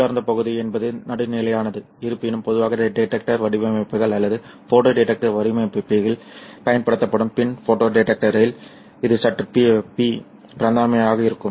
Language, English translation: Tamil, The intrinsic region is the one which is kind of neutral, although in a PIN photo detector that is normally used in the detector designs or photo detector designs, it will be slightly P region